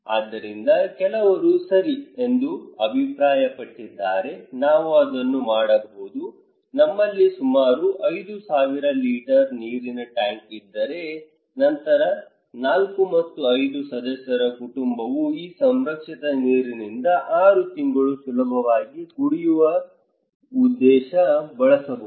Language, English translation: Kannada, So, some people came up with that okay, we can do it, if we have around 5000 litre water tank, then if 4 and 5 members family can easily run 6 months with this preserved water for drinking purpose, okay